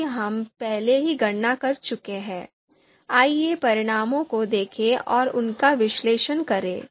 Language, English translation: Hindi, Now since we have already done the computation, let’s look at the results and analyze them